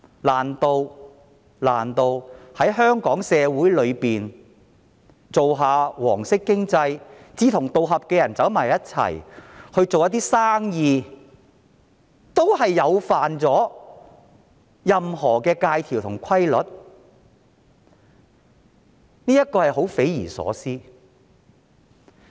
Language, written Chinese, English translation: Cantonese, 難道在香港社會裏，經營"黃色經濟"，志同道合的人相聚合作做生意，也觸犯了任何的戒條和規律？, In Hong Kong is it a violation of rules or regulations for a group people sharing the same views to operate a yellow shop?